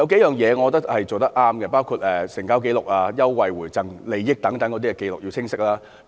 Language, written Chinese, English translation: Cantonese, 有數點我認為是做得對的，包括成交價、優惠回贈和優惠等要有清晰的紀錄。, I think the right steps have been taken in several areas including providing clear records of transaction price advantage rebates benefit and so on